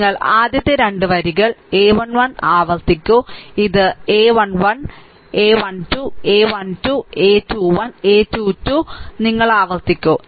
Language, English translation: Malayalam, You repeat the first 2 rows a 1 1, this is a 1 1, this is a 1 1, a 1 2, a 1 3, a 2 1, a 2 2, a 2 3 you repeat